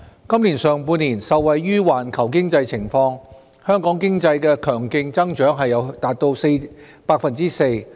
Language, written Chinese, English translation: Cantonese, 今年上半年，受惠於環球經濟情況，香港經濟強勁增長達 4%。, Benefited from the global economic situation Hong Kong economy saw a strong growth of 4 % in the first half of this year